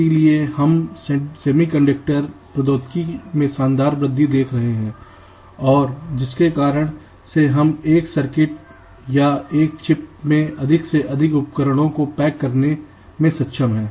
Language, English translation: Hindi, so we are seeing a fantastic growth in the semi conducted technology and the way we are able to pack more and more devices in a single circuit or a chip